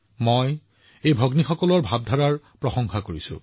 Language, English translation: Assamese, I appreciate the spirit of these sisters